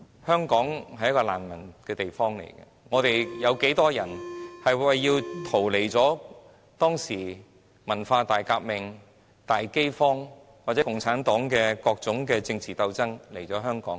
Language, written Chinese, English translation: Cantonese, 香港曾是一個難民地區，當年有多少人為了逃避文化大革命、大飢荒，或是共產黨的各種政治鬥爭來到香港？, Hong Kong was a place of refugees . Back then how many people had fled to Hong Kong in order to escape from the Cultural Revolution the Great Famine or the various political struggles of the Communist Party?